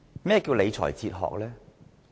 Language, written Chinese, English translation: Cantonese, 何謂理財哲學？, What is a fiscal philosophy?